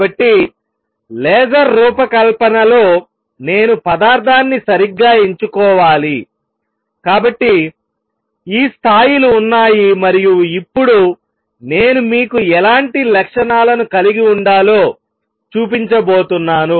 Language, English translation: Telugu, So, in designing a laser, I have to choose material properly, so that there are these levels and now I going to show you what kind of property is these should have